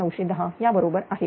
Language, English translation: Marathi, 8 and minus the here 1910